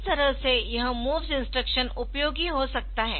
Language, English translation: Hindi, So, this way this MOVS instruction can be useful